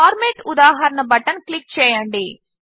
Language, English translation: Telugu, Click the Format example button